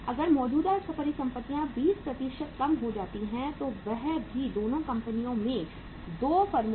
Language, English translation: Hindi, If the current assets are reduced by 20% and that too in both the firms that too in 2 firms